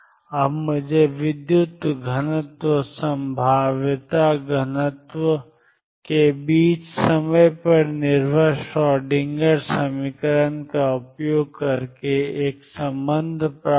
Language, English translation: Hindi, And then we defined the current or to we more precise probability current density using time dependent Schroedinger equation